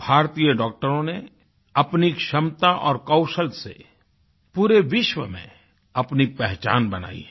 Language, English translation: Hindi, Indian doctors have carved a niche for themselves in the entire world through their capabilities and skills